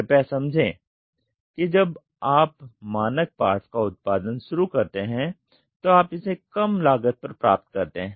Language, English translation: Hindi, Please understand when you start producing standard parts you get it at a cost which is reduced